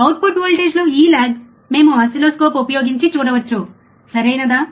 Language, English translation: Telugu, This lag in the output voltage, we can see using the oscilloscope, alright